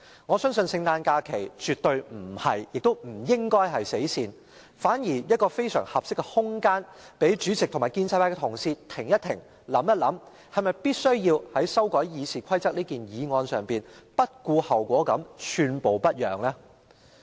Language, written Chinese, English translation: Cantonese, 我相信聖誕假期絕不是亦不應是"死線"，反而是非常合適的空間讓主席及建制派同事停一停，想一想，是否必須在這項修改《議事規則》的擬議決議案上不顧後果，寸步不讓呢？, I believe the Christmas holidays definitely do not and should not represent the deadline rather they represent a most suitable space for the President and Honourable colleagues of the pro - establishment camp to pause and ponder whether or not they must disregard the consequences arising from this proposed resolution on amending RoP and be totally uncompromising?